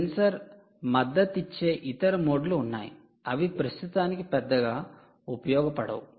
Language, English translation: Telugu, ok, there are other modes that the sensor supports which may not be of much use at the moment